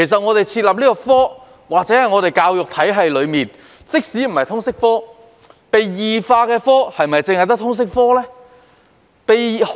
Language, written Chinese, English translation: Cantonese, 我們想想，在香港的教育體系中，被異化的科目是否只有通識科？, Let us think about it . Have morbid changes taken place only in the LS subject in Hong Kongs education system?